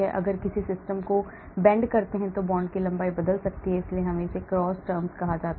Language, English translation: Hindi, if I bend a system of course the bond length may change so that is why we have call it cross terms